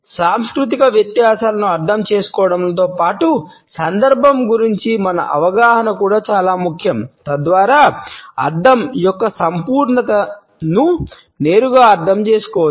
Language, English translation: Telugu, In addition to understanding the cultural differences our understanding of the context is also important so that the totality of the meaning can be directly understood